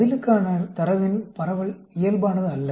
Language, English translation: Tamil, The distribution of the data for the response is not normal